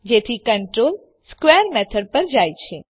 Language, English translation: Gujarati, So the control jumps to the square method